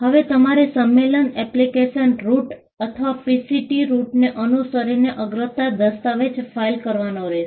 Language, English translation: Gujarati, Now when you follow the convention application route or the PCT route, you file a priority document